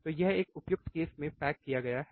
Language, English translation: Hindi, So, it is a packaged in a suitable case